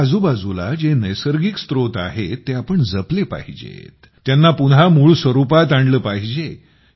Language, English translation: Marathi, Whatever natural resources are around us, we should save them, bring them back to their actual form